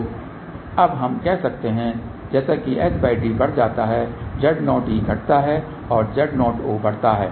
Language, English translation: Hindi, So, we can say now at as s by d increases Z o e decreases and Z o o increases